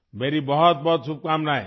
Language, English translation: Urdu, My very best wishes